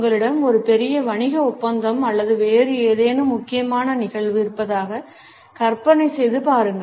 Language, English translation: Tamil, Imagine you have a major business deal coming up or some other important event